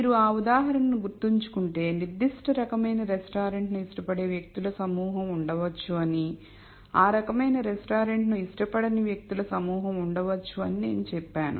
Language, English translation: Telugu, So, if you remember that example I said there are a group of people who might like certain type of restaurant there might be a group of people who do not like that kind of restaurant and so on